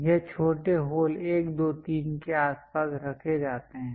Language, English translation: Hindi, Thisthese smaller holes 1, 2, 3 are placed around that